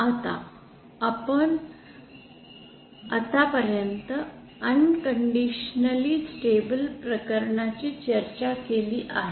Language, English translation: Marathi, Now what we had so far discussed is for the unconditionally stable